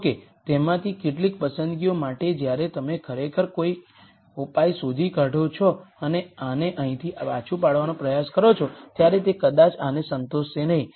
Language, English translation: Gujarati, However, for some of those choices when you actually find a solution and try to plug this back into this right here it might not satisfy this